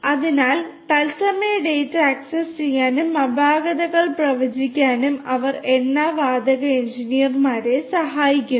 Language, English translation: Malayalam, So, they help the oil and gas engineers to access real time data and predict anomalies